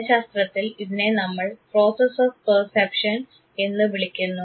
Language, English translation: Malayalam, In psychology this is what we call as Process of Perception